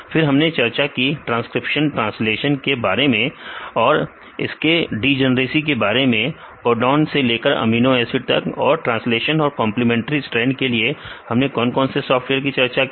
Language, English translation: Hindi, Then we discussed about the transcription translation then also the degeneracy of this, from the codon to the amino acids and what are the software we discussed on the translation as well as this complementary strand